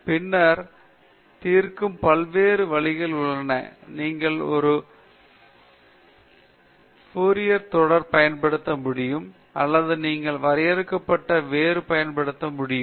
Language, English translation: Tamil, Then, there are various ways of solving: you can use a Fourier series or you can use finite difference or you can use finite volume or you can use finite element